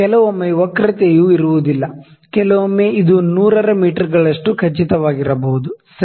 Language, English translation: Kannada, Sometime the curvature is not; sometime it can be certain 100’s of meters as well, ok